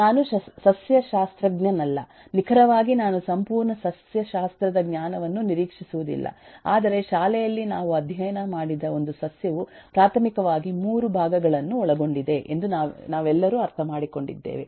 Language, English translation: Kannada, am not a botanist, um exactly, I don’t expect whole lot of knowledge of botany, but all of us understand this much, which we studied in school, that a plant comprise of primarily few parts